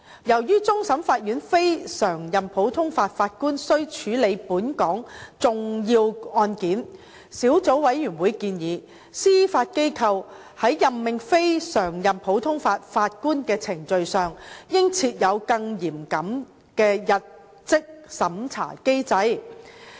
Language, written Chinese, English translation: Cantonese, 由於終審法院非常任普通法法官須處理本港重要案件，小組委員會建議，司法機構在任命非常任普通法法官的程序上應設有更嚴謹的入職審查機制。, As CLNPJs of the CFA has to handle important legal cases in Hong Kong the Subcommittee recommended that the Judiciary should establish a more rigorous mechanism for appointment checking for the procedure of appointing CLNPJs